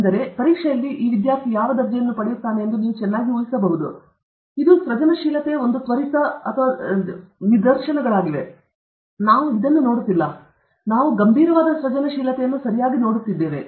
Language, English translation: Kannada, So, you can very well imagine what grade Peter would have got in the exam; this is also an instant of creativity; these are also instances of creativity, but we are not looking at this; we are looking at serious creativity okay